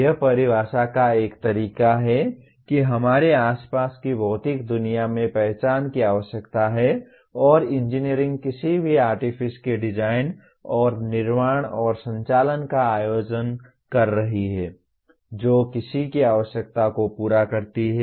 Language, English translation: Hindi, This is one way of definition that there is a need that is identified in the physical world around us and engineering is organizing the design and construction and operation of any artifice that meets the requirement of somebody